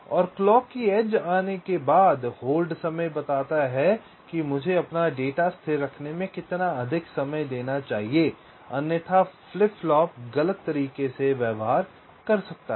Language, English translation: Hindi, that is, the setup time and the hold times says, after the clock edge, how much more time i should keep my data stable, otherwise the flip flop may behave incorrectly